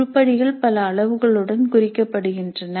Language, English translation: Tamil, So the items are tagged with several parameters